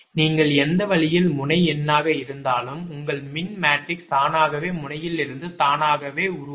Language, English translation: Tamil, whatever way, whatever way you are number the node, your e matrix automatically will be form from your formation of the node automatically